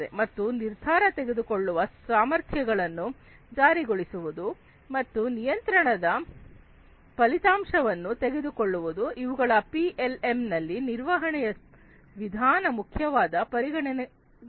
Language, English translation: Kannada, And enforcing the capabilities of decision making, and taking result of the control, these are the different important considerations, in the management aspect of PLM